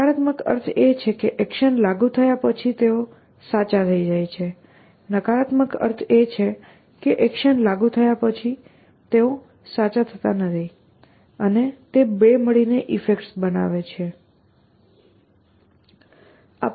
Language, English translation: Gujarati, Positive means they become true after the action is applied, negative means that they become false after the action is applied and the two of them together call effects